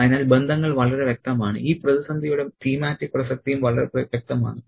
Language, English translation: Malayalam, So, the relationships are pretty clear and the thematic relevance of this crisis also pretty clear